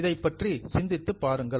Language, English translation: Tamil, Just have a thought on this